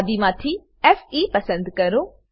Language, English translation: Gujarati, Select Fe from the list